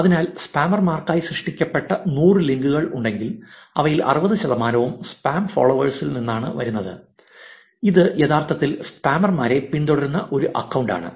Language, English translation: Malayalam, So, if there were 100 links that were created for the spammers, 60 percent of them are coming from the spam followers, which is an account which actually follows back the spammers